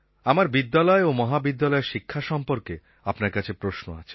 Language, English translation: Bengali, I have a question for you about the school and college education